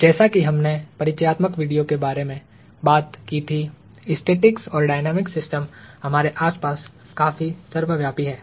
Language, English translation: Hindi, As we talked about in the introductory video, static and dynamical systems are quite ubiquitous all around us